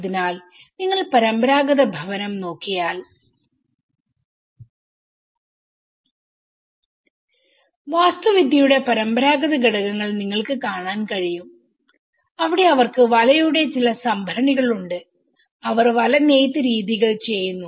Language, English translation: Malayalam, You can see the traditional elements of the architecture where they have some certain storages of net and they perform the net weaving practices